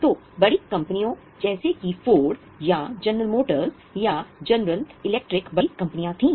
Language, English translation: Hindi, So, large companies like Ford or General Motors or General Electric were big companies